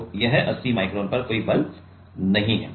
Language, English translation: Hindi, So, that 80 micron there is no force